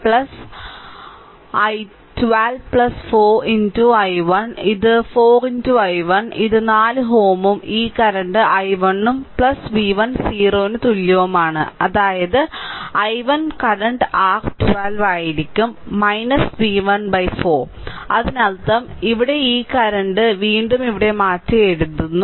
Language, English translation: Malayalam, So, minus 12 right plus 4 into i 1 this is 4 into i 1 this is 4 ohm and this current is i 1 then plus v 1 equal to 0; that means, my i 1 current will be your 12 minus v 1 divided by 4 right so; that means, here this current again rewriting here